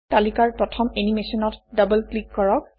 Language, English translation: Assamese, Double click on the first animation in the list